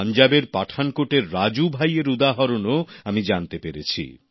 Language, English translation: Bengali, I have come to know of a similar example from Pathankot, Punjab